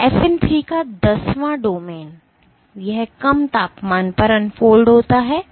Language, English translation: Hindi, And tenth domain of FN 3, it unfolds at a lower temperature